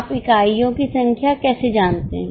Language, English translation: Hindi, How do you know the number of units